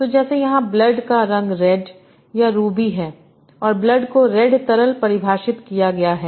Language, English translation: Hindi, So like here, red, the color of blood or a ruby, and blood is defined the red liquid